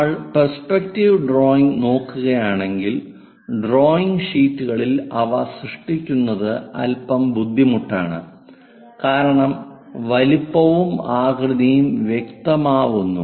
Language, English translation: Malayalam, If we are looking at perspective drawing these are bit difficult to create it on the drawing sheets, size and shape distortions happens